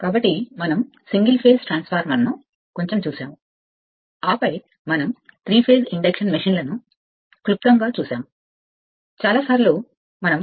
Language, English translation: Telugu, So, little bit we have seen single phase transformer, then we have seen your 3 phase induction machines only in brief right